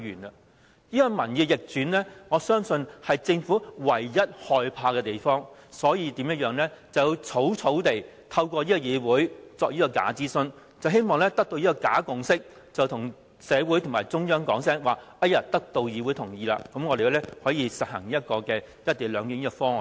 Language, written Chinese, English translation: Cantonese, 我相信，民意逆轉是政府唯一害怕的東西，因此便要草草透過這個議會進行這個假諮詢，希望得出假共識，以便向社會及中央說已得到議會同意，可以實行"一地兩檢"方案。, I believe the reversal of the public opinion is the only thing that the Government fears . Therefore it has to hastily conduct this bogus consultation through the Council . The Government wishes to produce a bogus consensus to enable it to advise the Hong Kong society and the Central Authorities that this co - location arrangement has the approval of the Council and thus can be implemented